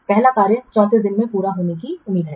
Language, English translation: Hindi, You can say that the first tax is expected to be completed on 34 days